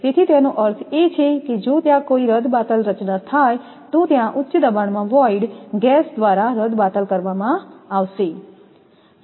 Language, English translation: Gujarati, So, it means if there is any void formation is there that void will be filled by the gas at the high pressure